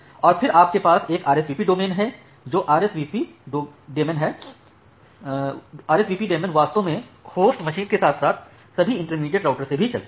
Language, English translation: Hindi, And then you have a RSVP daemon that RSVP daemon actually runs in the host as well as in all the intermediate routers